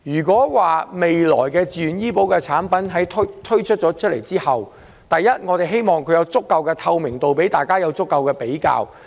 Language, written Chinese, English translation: Cantonese, 我希望未來自願醫保產品推出後，能有足夠透明度，供公眾進行比較。, I hope that after the introduction of VHIS products there will be sufficient transparency for the public to make comparisons